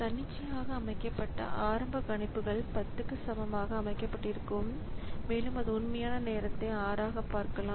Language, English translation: Tamil, So, initial prediction so that is arbitrarily set to be equal to 10 and you see the actual time it took is 6